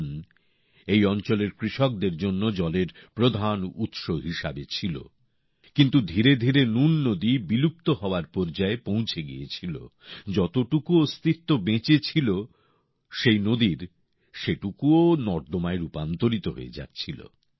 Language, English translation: Bengali, Noon, used to be the main source of water for the farmers here, but gradually the Noon river reached the verge of extinction, the little existence that was left of this river, in that it was turning into a drain